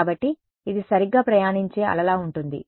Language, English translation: Telugu, So, it is like it is a wave that is travelling right